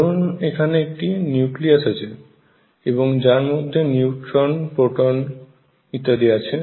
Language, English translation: Bengali, So, suppose there is a nucleus in which these neutrons and protons neutrons and protons are there